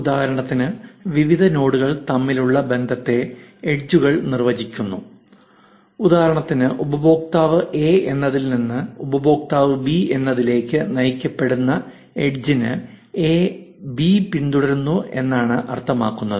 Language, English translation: Malayalam, Edges define the relationships between various nodes, for instance, a directed edge from user a to user b can mean that a follows b or an edge between a user a and the page can mean that user likes that particular page